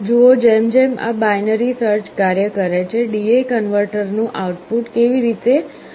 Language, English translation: Gujarati, See as this binary search goes on, how the output of the D/A converter changes